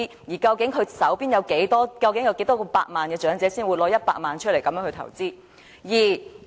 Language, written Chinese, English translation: Cantonese, 而究竟擁有多少百萬元的長者才會拿出其中100萬元來投資？, And how many millions should an elderly person have for him to fish out 1 million and make an investment?